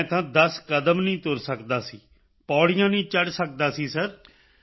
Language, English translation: Punjabi, I could not walk ten steps, I could not climb stairs Sir